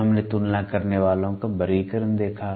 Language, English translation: Hindi, Then we saw classification of comparators